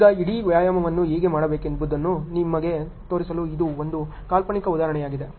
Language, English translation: Kannada, Now, this is an example hypothetical example just to show you on how to do the whole exercise ok